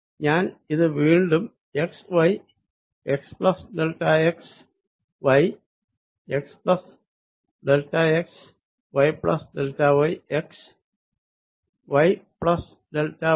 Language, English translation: Malayalam, i'll again make it x, y, x plus delta x, y, x plus delta x, y plus y plus delta y and x, y plus delta y